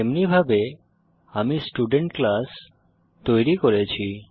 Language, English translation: Bengali, Thus We have created the class student